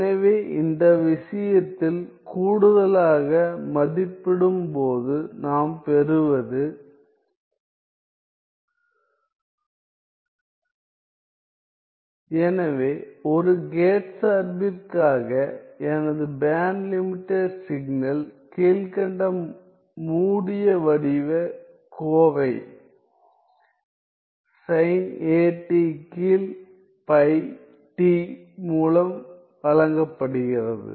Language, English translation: Tamil, So, I get that for a gate function, my band limited signal is given by this, this following closed form expression sin a t by pi t ok